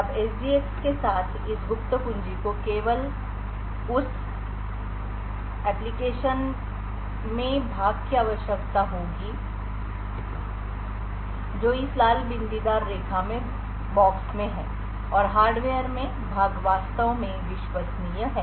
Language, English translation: Hindi, Now with SGX this secret key would only require that portions in the application which is boxed in this red dotted line and portions in the hardware is actually trusted